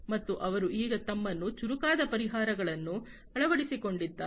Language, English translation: Kannada, And they have now also transformed themselves into smarter solutions